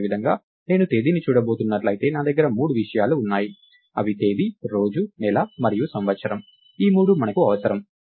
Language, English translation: Telugu, Similarly, if I am going to look at a date, I have three three things that are that make a date, the day, the month and the year, we need all these three